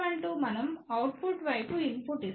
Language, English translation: Telugu, S 1 2 is if we give input at the output side